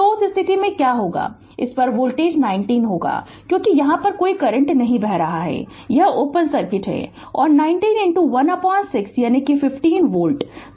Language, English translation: Hindi, So, in that case what will happen the voltage across this will be 90 because, this no current is flowing here it is open circuit and 90 into your 1 by 6 that is your 15 volt right